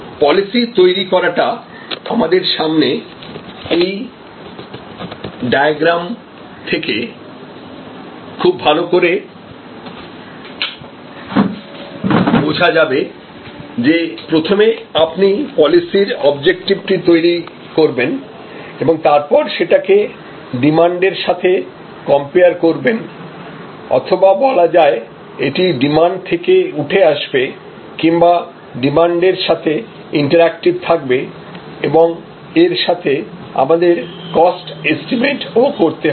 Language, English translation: Bengali, The policy setting can be described by this particular diagram which is in front of you, where you select the pricing objective and we compare that with respect to or rather that is derived or sort of interactive with the determining demand and we have to estimate cost